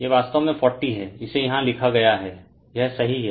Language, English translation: Hindi, This is actually 40 it is written here correct this is 40 here right